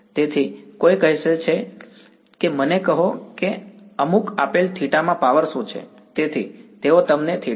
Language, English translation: Gujarati, So, someone says tell me what is the power at some given theta ok so they give you the theta